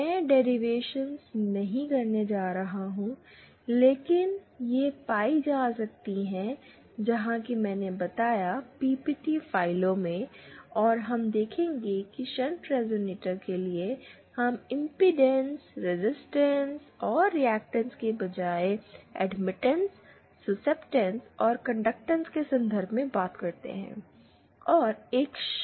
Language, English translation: Hindi, I am not going to do derivations but it can be found as I said in the accompanying PPT files and we will see that for a shunt resonator, we talk in terms of admittances, susceptance and conductances instead of impedance, resistance and reactance